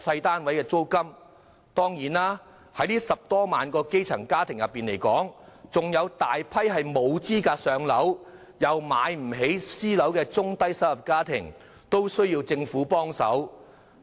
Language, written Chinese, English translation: Cantonese, 當然，在這10多萬個基層家庭中，還有大批沒有資格"上樓"，但又買不起私樓的中低收入家庭，也需政府協助。, Certainly among these 100 000 - odd grass - roots households a large number of low - to - medium - income households which are ineligible for PRH allocation but cannot afford to buy private flats are in need of government assistance as well